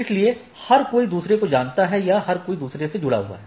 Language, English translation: Hindi, So, everybody knows or everybody connected to others